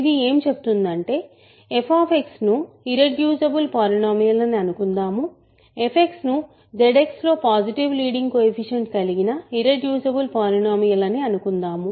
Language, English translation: Telugu, It says that let f X be an irreducible polynomial; let f X be an irreducible polynomial in Z X with positive leading coefficient